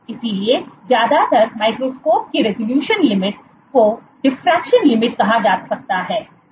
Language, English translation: Hindi, So, the resolution limit of most microscopes So, you call it the diffraction limit